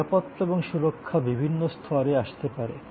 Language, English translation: Bengali, Safety and security can come in at different levels